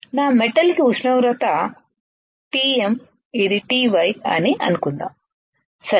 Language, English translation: Telugu, Temperature for my metal let me say TM this is TY, right